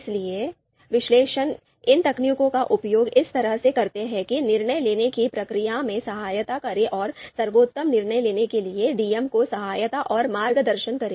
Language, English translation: Hindi, So these techniques they so the analyst, they use these techniques in a way aid the decision making process and help and guide the DMs to make the best decisions